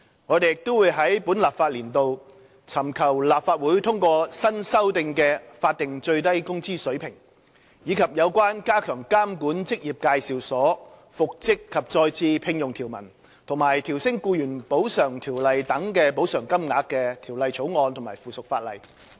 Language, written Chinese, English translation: Cantonese, 我們亦會在本立法年度尋求立法會通過新修訂的法定最低工資水平，以及有關加強監管職業介紹所、復職及再次聘用條文和調升《僱員補償條例》等的補償金額的法案及附屬法例。, Moreover in the current legislative session we will seek the Legislative Councils approval of the newly revised statutory minimum wage SMW rate as well as its passage of the bills and subsidiary legislation on strengthening the regulation of employment agencies the reinstatement and re - engagement provisions and the upward adjustments of the levels of compensation under inter alia the Employees Compensation Ordinance